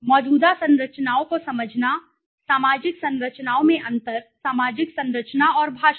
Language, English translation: Hindi, Comprehending the existing structures, the differences in the social structures societal structures and language